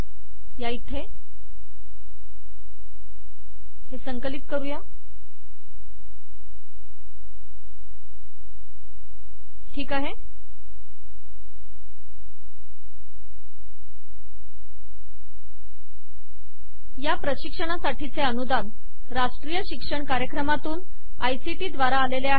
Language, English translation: Marathi, The funding for this spoken tutorial has come from the National Mission of Education through ICT